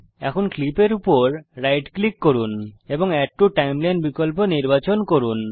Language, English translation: Bengali, Now, right click on the clips and choose ADD TO TIMELINE option